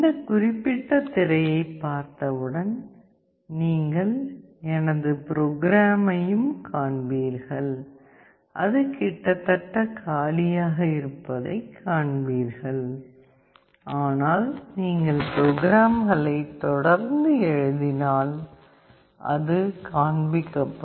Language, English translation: Tamil, Let us move on; once you see this particular screen you will also see my programs and you see that it is almost empty, but if you keep on writing the programs it will show up